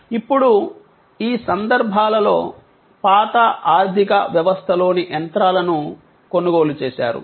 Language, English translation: Telugu, Now, in these cases, the machines in the old economy were purchased